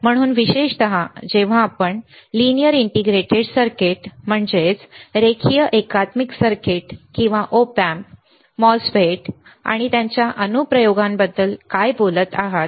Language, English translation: Marathi, So, particularly when you are talking about linear integrated circuits or op amps or MOSFET's and their applications what are the applications